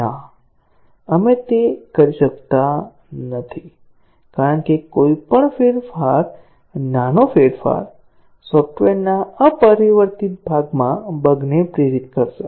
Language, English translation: Gujarati, No, we cannot do that because any change small change will induce bugs in the unchanged part of the software